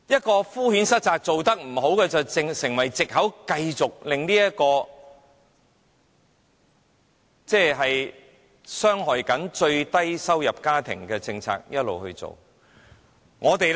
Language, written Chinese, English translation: Cantonese, 它敷衍塞責地以"做得不好"作為藉口，繼續維持傷害最低收入家庭的政策。, Citing poorly run as an excuse the perfunctory Government has maintained its policy of harming the lowest - income households